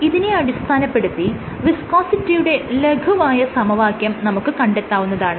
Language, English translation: Malayalam, So, based on this you can have the simple law of viscosity